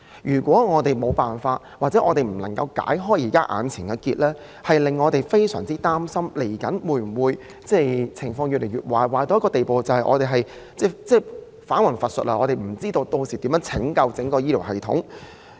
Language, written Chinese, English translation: Cantonese, 如果政府無法解開目前的死結，我們便會非常擔心未來的情況會否惡化至返魂乏術的地步，以致我們皆不知道該如何拯救整個醫療系統。, If the Government fails to undo the present dead knot then we are very concerned about whether the situation will become so worse in the future that it is beyond any cure with the result that we have no ways to rescue the entire healthcare system